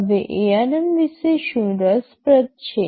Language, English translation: Gujarati, Now what is so interesting about ARM